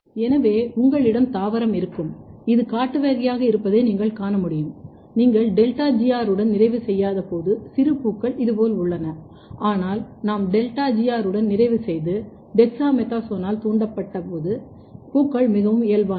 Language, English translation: Tamil, So, you will have the plant as you can see this is wild type, when you do not complement with delta GR florets are like this, but when we complement with delta GR after dexamethasone induction, flowers are very normal